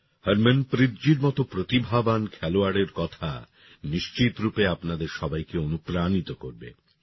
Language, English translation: Bengali, The words of a talented player like Harmanpreet ji will definitely inspire you all